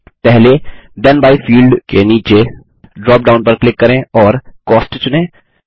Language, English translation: Hindi, Under the first Then by field, click on the drop down, and select Cost